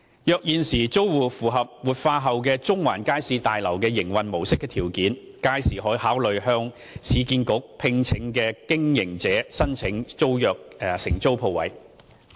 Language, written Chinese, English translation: Cantonese, 若現時租戶符合活化後的中環街市大樓營運模式的條件，屆時可考慮向市建局聘請的經營者申請承租商鋪。, If these tenants meet the requirements of the operation model of the revitalized Central Market Building they may consider applying to the operator appointed by URA for tenancy